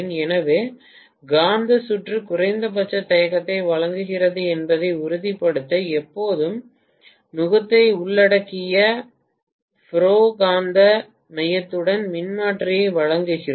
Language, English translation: Tamil, right So we generally provide the transformer with ferromagnetic core always inclusive of yoke just to make sure that the magnetic circuit offers minimum amount of reluctance